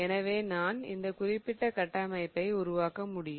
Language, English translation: Tamil, So, what I give rise to is this particular structure